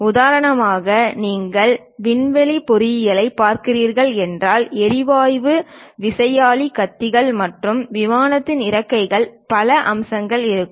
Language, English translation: Tamil, For example, if you are looking at aerospace engineering, there will be gas turbine blades, and aeroplane's wings, many aspects